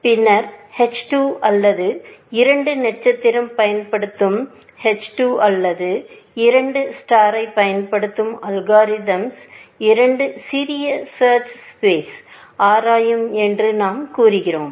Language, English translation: Tamil, Then, we said that algorithm a 2, which uses h 2 or a 2 star, which uses h 2, will explore a smaller search space